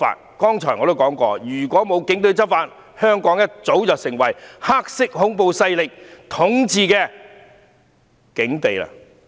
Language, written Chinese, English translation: Cantonese, 我剛才已說了，如果沒有警隊執法，香港早已陷入黑色恐怖勢力統治的境地了。, As I said earlier had the Police not enforced the law Hong Kong would have been ruled under black terror long ago